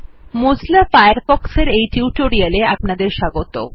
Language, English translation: Bengali, Welcome to the this tutorial of Mozilla Firefox